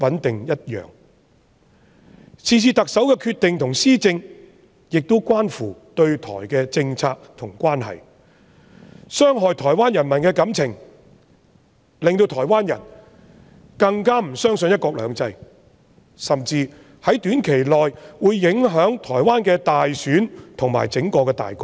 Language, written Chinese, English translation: Cantonese, 特首是次的決定和施政亦關乎對台政策和港台關係，不但傷害了台灣人民的感情，令台灣人更加不相信"一國兩制"，甚至會在短期內影響台灣的大選和整體大局。, The decision and administration of the Chief Executive regarding this matter involves the policy towards Taiwan and the Hong Kong - Taiwan relations as well . It has not only hurt the feelings of the Taiwanese people but also further weakened their confidence in one country two systems which will even affect the general elections and overall situation of Taiwan in the short term